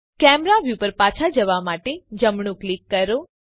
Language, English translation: Gujarati, Right click to to go back to camera view